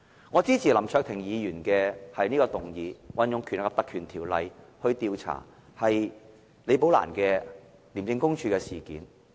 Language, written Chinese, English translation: Cantonese, 我支持林卓廷議員的議案，引用《條例》調查廉署李寶蘭女士的事件。, I support Mr LAM Cheuk - tings motion to investigate into the case of Ms Rebecca LI by invoking the Legislative Council Ordinance